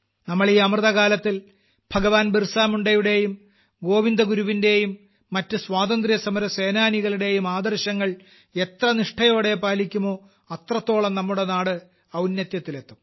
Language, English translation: Malayalam, The more faithfully we follow the ideals of Bhagwan Birsa Munda, Govind Guru and other freedom fighters during Amrit Kaal, the more our country will touch newer heights